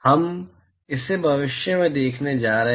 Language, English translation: Hindi, We are going to see that in the future